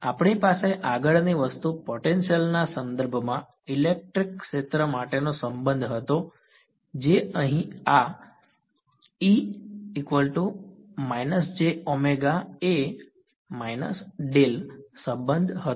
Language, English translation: Gujarati, The next thing we had was a relation for the electric field in terms of the potential right that was this relation over here